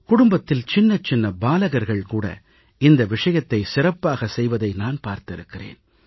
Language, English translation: Tamil, I have seen that small children of the family do this very enthusiastically